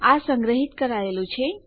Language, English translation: Gujarati, Thats what has been stored